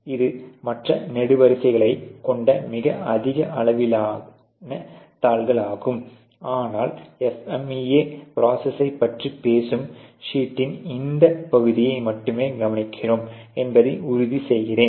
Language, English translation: Tamil, This is obviously of a much higher size sheet which has other columns as well, but we are just making sure, we are just in concerned with only this part of the sheet which talks about the FMEA process actually